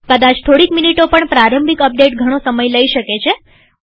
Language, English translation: Gujarati, Maybe a couple of minutes but the initial update could take a lot of time